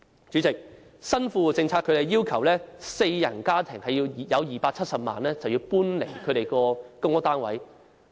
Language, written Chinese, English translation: Cantonese, 主席，根據新富戶政策，四人家庭擁有270萬元便須搬離公屋單位。, President according to the new Well - off Tenants Policies a four - person household in possession of 2.7 million is required to vacate its PRH unit